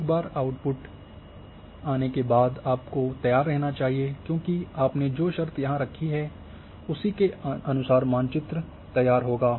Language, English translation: Hindi, So, once output comes you should be ready because the condition which you have put forward here then according the map will be generated